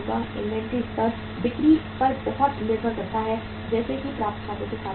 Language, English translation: Hindi, Inventory levels depend heavily upon sales as is the case with the accounts receivable